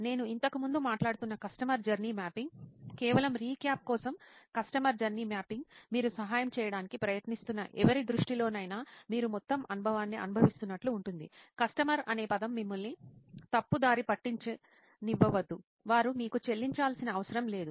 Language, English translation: Telugu, The customer journey mapping that I was talking to earlier about, customer journey mapping just to recap is as if you are going through the entire experience from the eyes of somebody that you are trying to help, don’t let the word customer mislead you, they don’t have to pay you; It’s just somebody that you want to help in some way